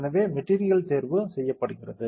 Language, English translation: Tamil, So, material selection is done